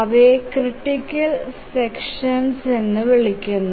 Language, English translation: Malayalam, So these are called as the critical sections